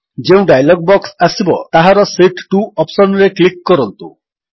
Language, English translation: Odia, In the dialog box which appears, click on the Sheet 2 option